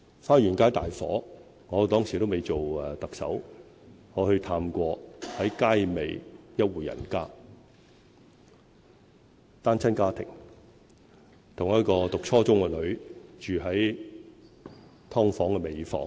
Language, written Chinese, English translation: Cantonese, 花園街大火發生時我尚未做特首，當時我探訪過街尾一戶人家，是單親家庭，有一名讀初中的女兒，他們住在"劏房"的尾房。, After the incident I visited a family living at the rear end of Fa Yuen Street . It was a single - parent family . The daughter was a junior secondary student and the family lived in the room at the far end of a sub - divided unit